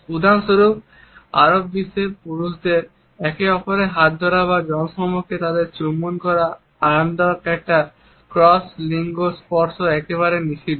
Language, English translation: Bengali, For example, in the Arab world it is comfortable for men to hold the hands of each other or to kiss them in public a cross gender touch is absolutely prohibited